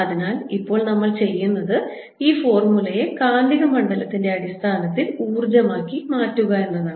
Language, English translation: Malayalam, so now what we want to do is convert this formula into energy in terms of magnetic field